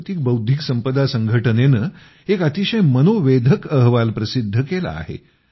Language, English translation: Marathi, The World Intellectual Property Organization has released a very interesting report